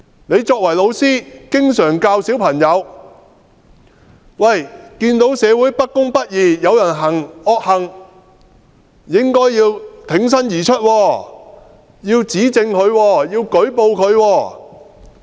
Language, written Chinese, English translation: Cantonese, 你作為老師經常教導小朋友看見社會不公不義，有人行惡行，應該挺身而出，指證和舉報他。, As a teacher you often tell students that if they notice any injustice in society they should bravely report on the wrongdoer and testify against him